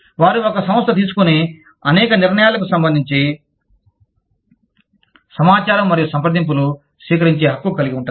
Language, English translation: Telugu, They have the right to receive, information and consultation, relative to many decisions, a firm makes